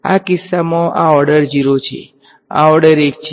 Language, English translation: Gujarati, In this case this is order 0, this is order 1